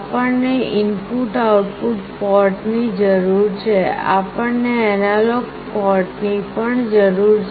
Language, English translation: Gujarati, We need input output ports; we also need analog ports